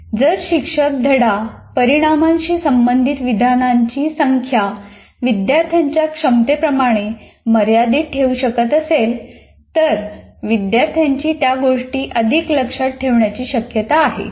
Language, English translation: Marathi, So if the teacher can keep the number of items related to a lesson outcome within the capacity limits of students, they are likely to remember more of what they learned